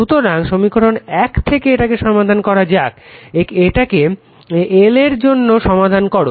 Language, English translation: Bengali, So, from equation one you please solve this one you please solve this one for your l